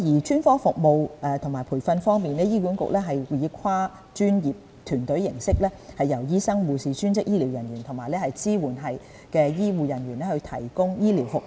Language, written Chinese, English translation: Cantonese, 專科服務和培訓方面，醫管局以跨專業團隊的方式，由醫生、護士、專職醫療人員和支援醫護人員提供醫療服務。, With regard to specialist services and training HA provides healthcare services through multi - disciplinary teams comprising doctors nurses allied health professionals and supporting grade staff